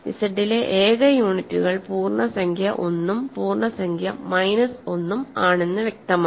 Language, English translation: Malayalam, It is clear that the only units in Z are the integer 1 and the integer minus 1